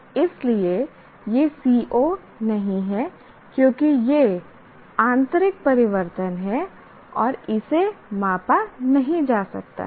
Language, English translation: Hindi, So, this is not a, because it being an internal change, it cannot be measured